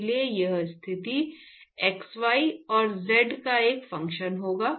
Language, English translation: Hindi, So, therefore, this is going to be a function of the position x y and z